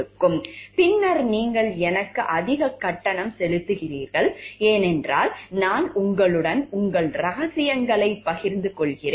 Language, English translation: Tamil, And then we paying me higher, because I share your secrets with you